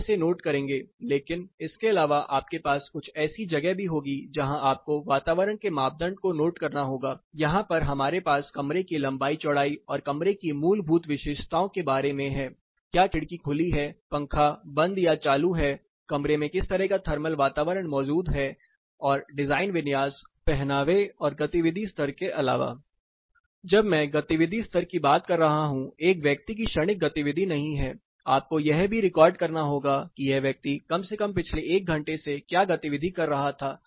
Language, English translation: Hindi, (Refer Slide Time: 26:02) You will be noting it, but other than that you will also have some place where you will have to note the environment criteria, what does the here we had room dimension and basic features of the room about the whether the windows are open, fan is on off, what type of thermal environment is prevailing in the room plus the design configuration, apart from clothing and activity level, when I say activity level it is not the momentary activity the person is doing, you have to also record what activity this person was doing for the past 1 hour at least